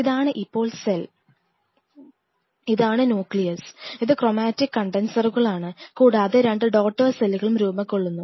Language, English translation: Malayalam, This is the cell now and here the nucleus it is chromatic condensers and the 2 daughter cells are formed